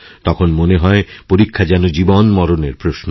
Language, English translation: Bengali, It seems to become a question of life and death